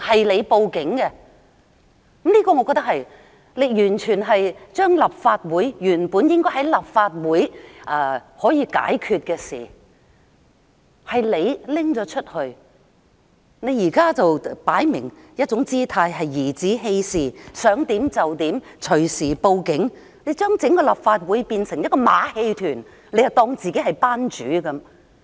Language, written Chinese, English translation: Cantonese, 梁議員報警，將本應在立法會可以解決的事訴諸法庭，現在擺出一副頤指氣使的姿態，想怎樣就怎樣，隨時報警，將整個立法會變成一個馬戲團，當自己是班主。, Mr LEUNG called the Police and took what could have been resolved within the Chamber to the court acting as he pleased in an arrogant and domineering manner and turned the Legislative Council into his own circus